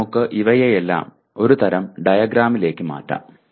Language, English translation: Malayalam, Now let us put down all these things together into a kind of a diagram